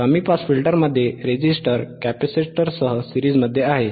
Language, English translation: Marathi, In low pass filter, resistor and was series in capacitor, right